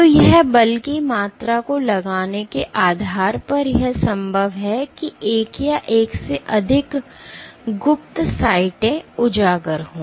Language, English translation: Hindi, So, depending on the amount it exerts amount of force it exerts it is possible that one or more of the cryptic sites are exposed